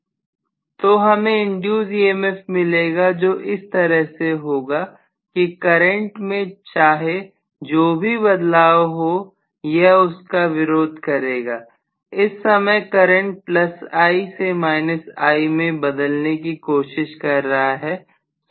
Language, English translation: Hindi, So I am going to get an induced EMF in such a way that whatever is the change in the current it is going to oppose that , right now the current is trying to go from plus I to minus I